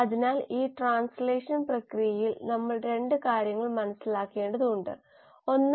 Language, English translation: Malayalam, So we need to understand 2 things in this process of translation, 1